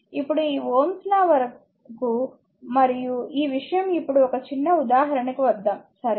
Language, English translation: Telugu, Now, up to this your Ohm’s law and this thing let us come now to a small example, right